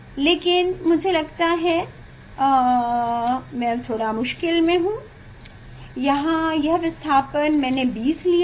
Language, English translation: Hindi, now, I am facing difficulties that, here this displacement I have taken 20